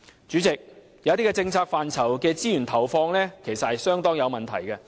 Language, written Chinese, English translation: Cantonese, 主席，有些政策範疇的資源投放其實相當有問題。, President the resource allocation in certain policy areas is indeed rather problematic